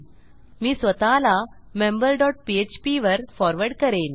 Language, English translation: Marathi, Ill just forward myself to member dot php